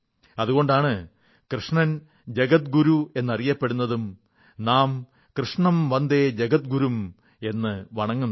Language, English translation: Malayalam, And that is why Shri Krishna is known as Jagatguru teacher to the world… 'Krishnam Vande Jagadgurum'